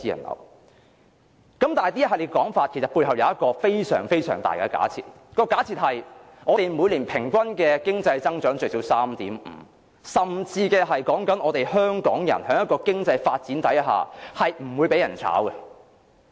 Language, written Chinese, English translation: Cantonese, 可是，在這系列說法背後，其實有一個重要假設，就是假設我們每年平均最少有 3.5% 經濟增長，以及香港人在經濟發展下不會被解僱。, However there is an important assumption behind this series of statements which is that we have at least 3.5 % annual economic growth on average and Hong Kong people will not lose their jobs in economic development